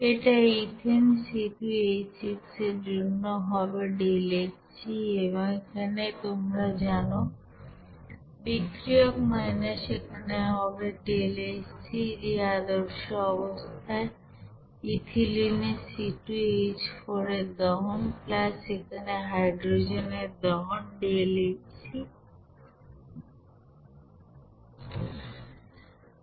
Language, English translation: Bengali, It will be is equal to deltaHc for this you know ethane C2H6 and this is your you know reactants minus here it will be deltaHc you know combustion at standard condition for ethylene C2H4 plus here deltaHc here combustion for you know hydrogen gas